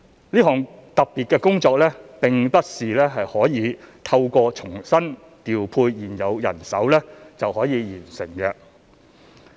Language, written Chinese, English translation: Cantonese, 這項特別工作並不是可以透過重新調配現有人手就可以完成的。, This special task cannot be completed by mere redeployment of existing manpower